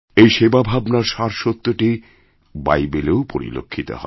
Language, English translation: Bengali, The essence of the spirit of service can be felt in the Bible too